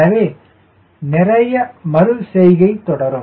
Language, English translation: Tamil, so lot of iteration goes on